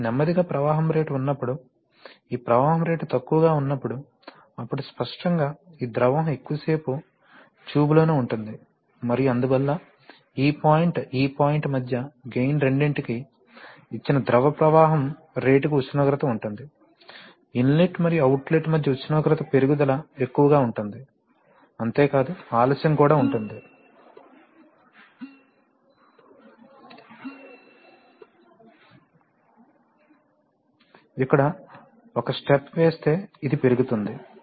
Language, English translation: Telugu, So when there is a slow flow rate that is when this flow rate is low, then obviously this liquid stays within the tube for longer time and therefore for both the gain between this point to this point, there is a temperature for a given rate of flow of the heating liquid, the increase in temperature between the inlet and the outlet will be higher, not only that, this will be also, the delay between, if you make a step here then this will go up